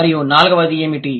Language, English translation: Telugu, And what is the fourth one